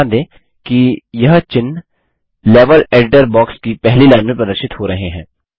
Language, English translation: Hindi, Notice, that these characters are displayed in the first line of the Level Editor box